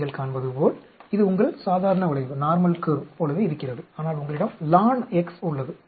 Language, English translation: Tamil, You can see it almost looks your normal curve, but you have lon x there